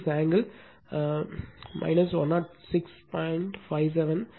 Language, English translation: Tamil, 36 angle 133